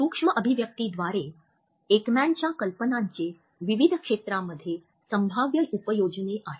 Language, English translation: Marathi, Through a micro expression, Ekmans idea has potential applications in various fields